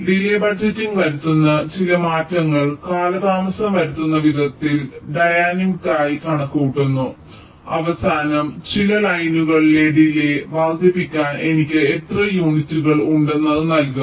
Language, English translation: Malayalam, delay budgeting concerns that, that some delay values i dynamically calculating in a alterative way and at the end it will give me by how much units i have to increase the delay in certain lines